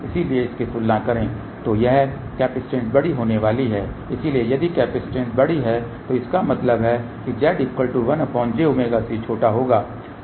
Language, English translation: Hindi, So, compare to this this capacitance is going to be large , so if the capacitance is large that means, Z equal to 1 by j omega C will be small